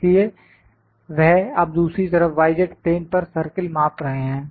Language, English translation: Hindi, So, they are now measuring the circle on other side on the y z plane